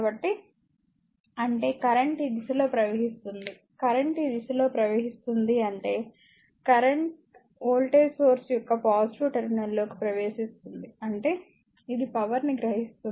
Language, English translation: Telugu, So; that means, the current is flowing in this direction current is flowing in this direction; that means, the current actually entering into the positive terminal of the voltage source; that means, it is absorbing power